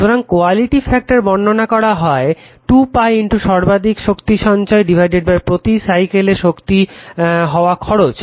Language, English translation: Bengali, So, quality factor sometimes for a circuit is defined by 2 pi into maximum stored energy divided by energy dissipated per cycle right